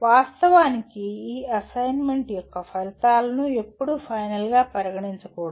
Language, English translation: Telugu, But in actuality, these outputs of these assignment should never be considered as final